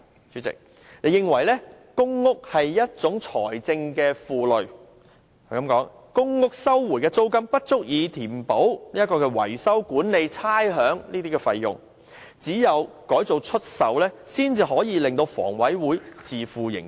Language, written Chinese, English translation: Cantonese, 主席，她認為公屋是財政負累，表示公屋收回的租金不足以支付維修、管理、差餉等費用，只有改作出售，才能令香港房屋委員會自負盈虧。, According to her President public housing is a financial burden as rents recovered from it are insufficient to cover such costs as maintenance management and rates . Only by converting public housing units for sale she said can the Hong Kong Housing Authority HA achieve financial self - sufficiency . What a terrible idea President